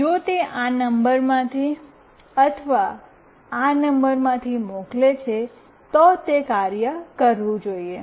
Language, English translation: Gujarati, If it sends either from this number or from this number, then it should work